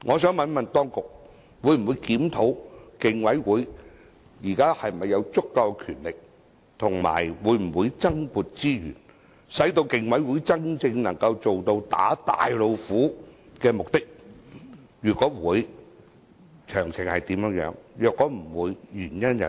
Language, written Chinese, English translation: Cantonese, 請問當局會否檢討競委會現時是否有足夠權力，而且會否增撥資源，使競委會能夠真正達到"打大老虎"的目的？如會，詳情為何；如否，原因為何？, Will the authorities review whether the Commission has adequate powers and will additional resources be allocated to the Commission to enable it to really achieve the purpose of cracking down on tigers; if so of the details; if not the reasons for that?